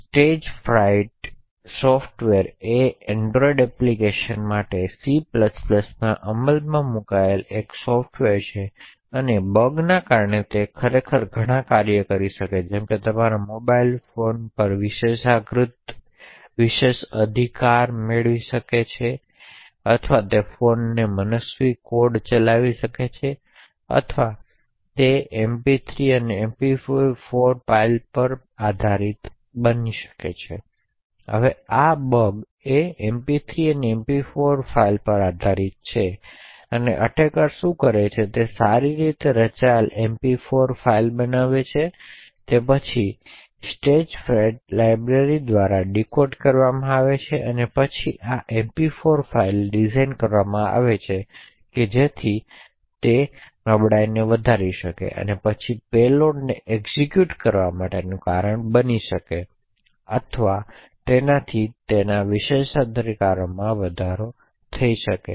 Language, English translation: Gujarati, So, the Stagefright software is essentially a software implemented in C++ for android applications and because of the bug could actually do several things such as it could cause like privilege escalation attacks on your mobile phone or it could also execute arbitrary code on the phone, so the essence of the bug is based on MP3 and MP4 files, so essentially what the attacker does is he creates well crafted MP4 files which is then decoded by the Stagefright library and then these MP4 files are designed so that it could trigger the vulnerability and then cause the payload to executed or it could cause escalation of privileges